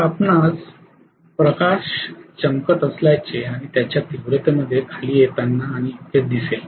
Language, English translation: Marathi, So you will be able to see the light is glowing and coming down in its intensity and so on